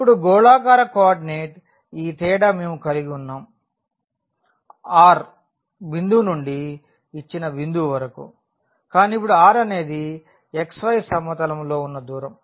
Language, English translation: Telugu, Now, that is the difference here in the spherical coordinate we have this r from this point to the given point, but now this r is the distance in the xy plane